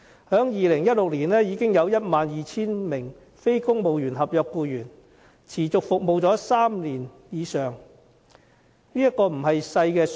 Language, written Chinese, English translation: Cantonese, 在2016年，便已有 12,000 名非公務員合約僱員持續服務了3年以上，數目不小。, Simply in 2016 the number of non - civil service contract staff having served a continuous period of three years or more already stood at 12 000 which is not a small number